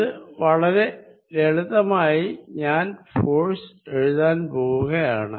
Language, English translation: Malayalam, This is very simple way of writing it I am going to write force